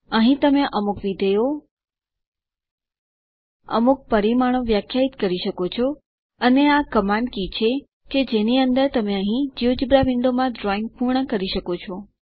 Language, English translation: Gujarati, Here you can introduce some functions, define some parameters and this is the command key in which you can complete drawings in the geogebra window here